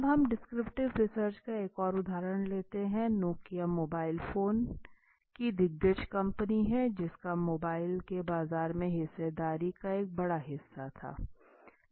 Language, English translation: Hindi, Now let us take another example of descriptive Nokia which is mobile phone giant had a major portion of market share of mobile